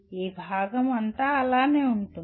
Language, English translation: Telugu, All this part remains the same